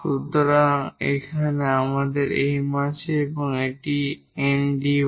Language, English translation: Bengali, So, here we have M and this is N; M dx, N dy